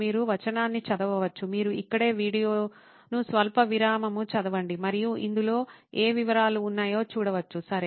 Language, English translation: Telugu, You can read the text, you can pause the video right here and see what details are in this, okay